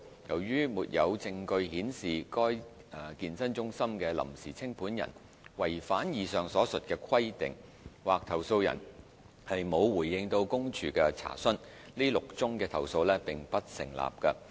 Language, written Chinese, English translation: Cantonese, 由於沒有證據顯示該健身中心的臨時清盤人違反以上所述的規定，或投訴人沒有回應公署的查詢，這6宗投訴並不成立。, The six complaints were not substantiated because there was no evidence of the fitness centres provisional liquidator contravening the above mentioned requirements or because it received no response from the complainant to its enquiry